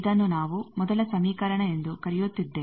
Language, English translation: Kannada, This we are calling first equation